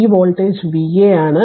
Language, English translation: Malayalam, So, this voltage is V a